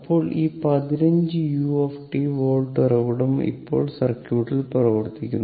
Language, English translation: Malayalam, That I told you, then this 15 u t volt source is now operative in the circuit it is like this